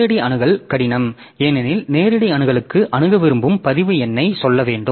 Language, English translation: Tamil, Direct access is difficult because for direct access I have to tell the record number that I want to access